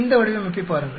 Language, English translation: Tamil, Look at this design